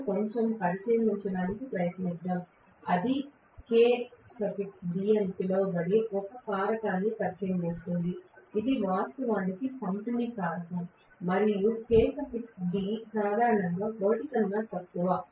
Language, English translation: Telugu, Let us try to take a little bit of look into that and then that introduces a factor called Kd which is actually a distribution factor and Kd is generally less than 1